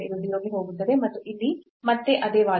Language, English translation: Kannada, So, this will go to 0 and here again the same argument